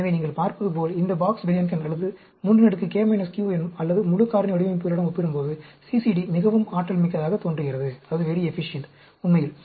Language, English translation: Tamil, So, as you can see, CCD appears to be very efficient when compared to any of these design Box Behnken, or 3 k minus q, or full factorial design, actually